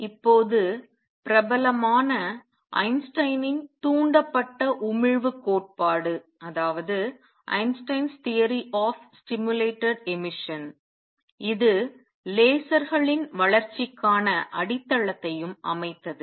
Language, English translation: Tamil, And is now famous Einstein’s theory of stimulated emission this also laid foundations for development of lasers